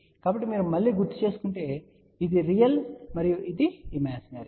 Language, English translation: Telugu, So, same thing if you recall again this is the real and imaginary